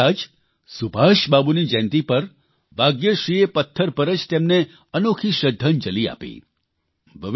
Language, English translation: Gujarati, A few days ago, on the birth anniversary of Subhash Babu, Bhagyashree paid him a unique tribute done on stone